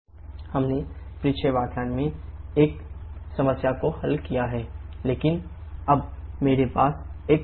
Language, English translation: Hindi, We have solved this problem in the previous lecture, but now I have changed here